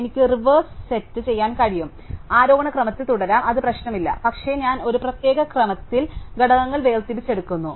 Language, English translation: Malayalam, I can reverse set, I can keep in ascending order, it does not matter, but I am just extracting the elements in a particular order